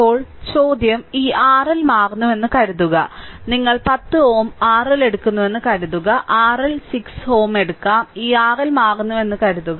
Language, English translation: Malayalam, Now question is, if suppose this R L is change, suppose R L you take 10 ohm, R L you can take 6 ohm, suppose this R L is changing